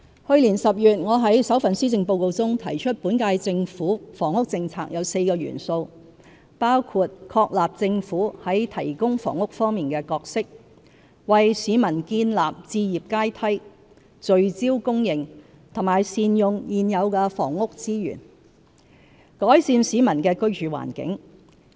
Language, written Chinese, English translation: Cantonese, 去年10月，我在首份施政報告中提出本屆政府房屋政策有4個元素，包括確立政府在提供房屋方面的角色、為市民建立置業階梯、聚焦供應和善用現有房屋資源，改善市民的居住環境。, I stated in my first Policy Address in October last year that the current - term Governments housing policy comprises four elements which include establishing the Governments role in the provision of housing building a housing ladder for our people focusing on supply and optimizing the existing housing resources to improve peoples living conditions